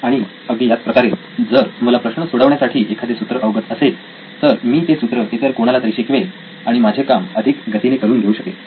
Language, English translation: Marathi, The same way if I knew a formula to invent, to solve a particular problem I could actually teach anybody and they could actually get faster with this get better at problem solving as well